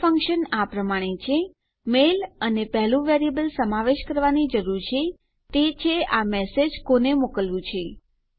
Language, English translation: Gujarati, The mail function is as follows mail and the first variable you need to include is who this message is to